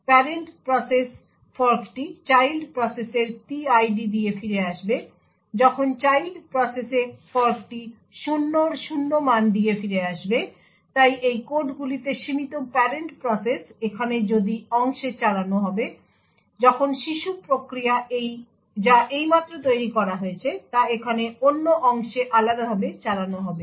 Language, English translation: Bengali, In the parent process the fork will return with the PID of the child process, while in the child process the fork would return with 0 value of 0, so thus in these codes limit the parent process would execute over here in the if part, while the child process which has just been created would execute over here in the “else” apart